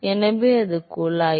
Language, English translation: Tamil, So, that is the tube